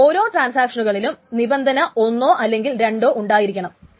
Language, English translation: Malayalam, Now for each of these transactions either condition 1 or condition 2 must hold